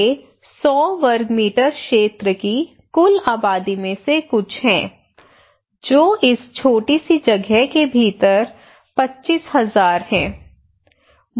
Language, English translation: Hindi, These are some of the glimpse of 100 square meter area total population is within this small place 25,000